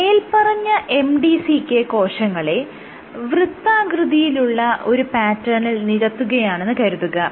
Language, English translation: Malayalam, So, if you played these MDCK cells on a circular pattern